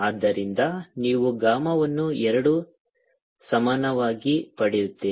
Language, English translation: Kannada, so you get gamma is equal to gamma is equal to two